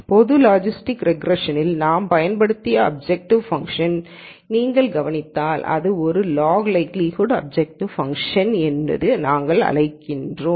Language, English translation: Tamil, If you notice the objective function that we used in the general logistic regression, which is what we called as a log likelihood objective function